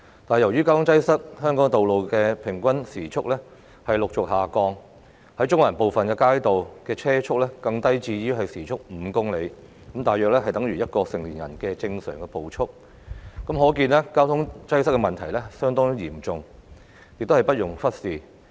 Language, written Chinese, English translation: Cantonese, 但由於交通擠塞，香港道路的平均車速持續下降，在中環部分街道的車速更低至時速5公里，大約等於1名成年人的正常步速，可見交通擠塞的問題相當嚴重，不容忽視。, Yet due to traffic congestion the average vehicle speed on roads in Hong Kong has been continuously dropping . The vehicle speed on some streets in Central is even below 5 kmh which is about the normal walking speed of an adult . It shows that traffic congestion is a very serious problem that cannot be ignored